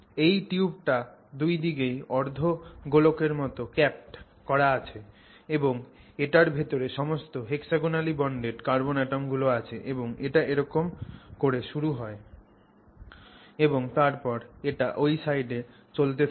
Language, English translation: Bengali, So, it's a tube capped on both sides with hemispherical caps and inside this you have all the hexagonally bonded carbon atoms and then of course it starts getting like that and then it continues that side